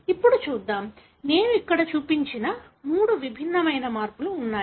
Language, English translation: Telugu, Let us see; so, there are three different changes that I have shown here